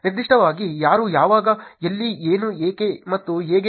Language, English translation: Kannada, Particularly; who, when, where, what, why, and how